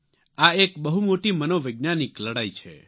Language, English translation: Gujarati, It is a huge psychological battle